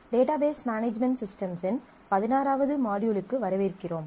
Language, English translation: Tamil, Welcome to Module 16 of Database Management Systems till the last module which closed with the third week